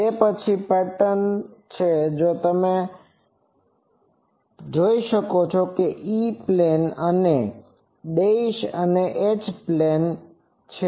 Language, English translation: Gujarati, Then, this is the patterns you see black one is the black one is the E plane and the dashed one is the H plane pattern